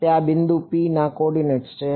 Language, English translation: Gujarati, It is the coordinates of this point P